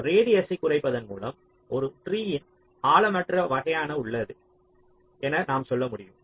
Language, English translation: Tamil, so minimizing radius, we can say it's a shallow kind of a tree